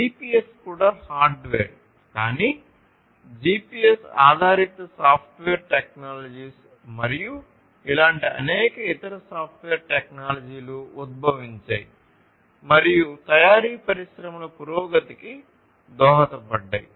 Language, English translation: Telugu, So, GPS; GPS itself is hardware, but you know the GPS based software technologies and like this there are many other software technologies that have emerged and have contributed to the advancement of manufacturing industries